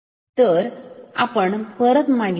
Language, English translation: Marathi, So, let us go back